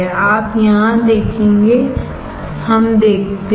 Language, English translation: Hindi, You will see here, let us see